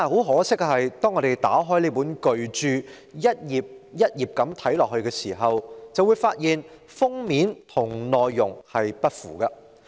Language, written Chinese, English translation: Cantonese, 可惜，當我們打開這本巨著逐頁翻看時，便會發現封面的標題與內容不符。, Unfortunately as we go through this magnum opus page by page we notice that its content does not tally with the title on the cover